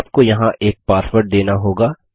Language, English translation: Hindi, You will be prompted for a password